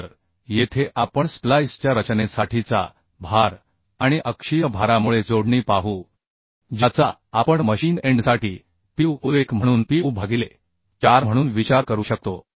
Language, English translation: Marathi, So here we will see the load for design of splice and connection due to axial load we can consider as Pu1 as Pu by 4 for machine end